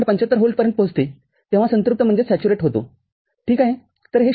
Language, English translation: Marathi, 75 volt, ok